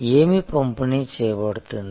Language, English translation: Telugu, What is getting delivered